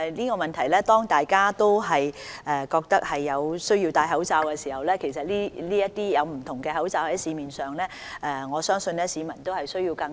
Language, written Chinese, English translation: Cantonese, 當大家都覺得有需要戴口罩，而市面又有不同款式可供選擇時，市民的確需要更多資訊。, When everyone feels compelled to put on a mask and there are different types of masks available in the market the public certainly needs more information